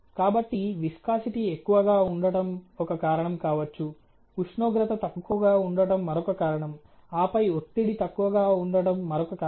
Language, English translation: Telugu, So, viscosity too high may be one of the reasons temperature too low is another and then pressure to low is another